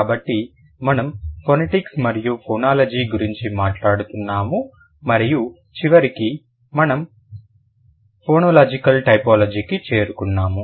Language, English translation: Telugu, So, we were talking about phonetics and phonology and eventually we will move to phonological typology, right